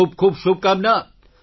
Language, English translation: Gujarati, Many good wishes